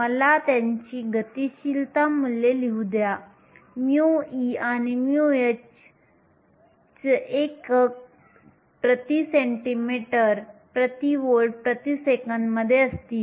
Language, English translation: Marathi, Let me write down their mobility values, mu e and mu h the units will be in centimeter square volts per second